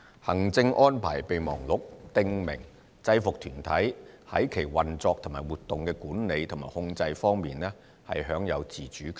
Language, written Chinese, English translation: Cantonese, 行政安排備忘錄訂明制服團體在其運作及活動的管理和控制方面享有自主權。, MAA provides that a UG shall be autonomous in the management and control of its operations and activities